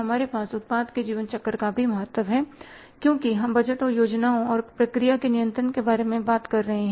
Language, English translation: Hindi, Just quickly we have the importance of the project life cycle also because we are talking about the budgets and plans and the controlling of the process